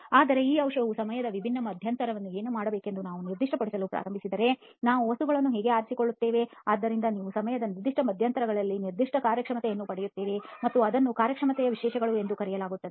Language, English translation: Kannada, But then if we start specifying what this medicine should do at distinct intervals of time, how do we choose the material so that you get a specific performance at distinct intervals of time and that is called performance specifications